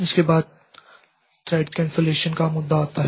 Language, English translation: Hindi, Next comes the issue of thread cancellation